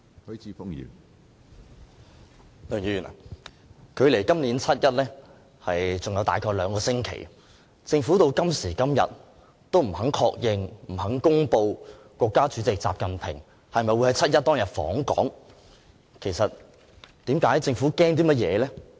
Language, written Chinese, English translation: Cantonese, 梁議員，距離今年7月1日還有大約兩星期，政府直至今時今日仍不肯確認和公布國家主席習近平會否在7月1日訪港，其實政府害怕甚麼？, Mr LEUNG there are around two weeks to go before 1 July this year and the Government still refuses to confirm and announce at this very moment whether President XI Jinping will visit Hong Kong on 1 July . What are actually the concerns of the Government?